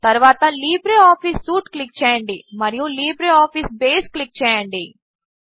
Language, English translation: Telugu, Click on All Programs, and then click on LibreOffice Suite